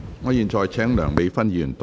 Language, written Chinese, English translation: Cantonese, 我現在請梁美芬議員動議修正案。, I now call upon Dr Priscilla LEUNG to move an amendment